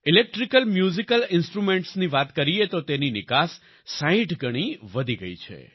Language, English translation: Gujarati, Talking about Electrical Musical Instruments; their export has increased 60 times